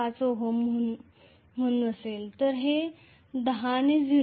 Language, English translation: Marathi, 5 ohm then 10 multiplied by 0